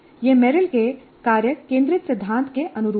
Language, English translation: Hindi, This corresponds to the task centered principle of Meryl